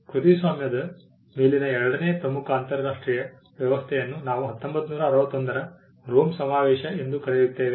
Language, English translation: Kannada, The second major international arrangement on copyright is what we call the Rome convention of 1961